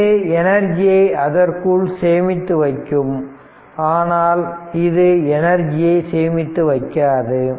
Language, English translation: Tamil, They you can store energy in them, but they cannot store energy